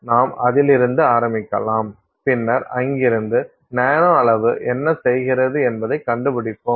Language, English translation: Tamil, So, let's start with that and then from there we will figure out what the nano size does to it